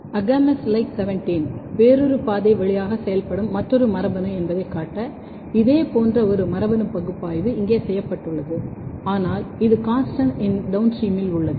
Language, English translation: Tamil, Similar kind of a genetic analysis has been done here to show that AGAMOUS LIKE 17, another gene which is even working through a different pathway, but this is also downstream of CONSTANST